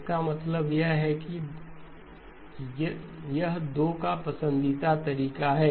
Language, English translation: Hindi, That means that is the preferred approach of the 2